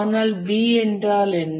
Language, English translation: Tamil, But what about B